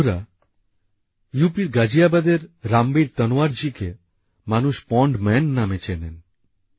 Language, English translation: Bengali, the people of Ghaziabad in UP know Ramveer Tanwar as the 'Pond Man'